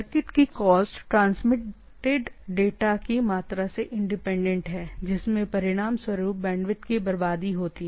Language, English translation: Hindi, Circuit costs independent of the amount of data transmitted right, resulting in wastage of bandwidth